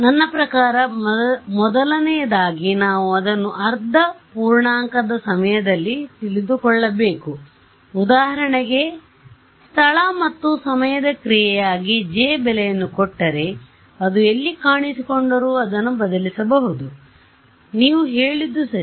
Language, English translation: Kannada, So, I mean, first of all we should know it at half integer time instance right, but if I am, if you are given, if you give me J as a function of space and time then wherever it appears I just substitute it right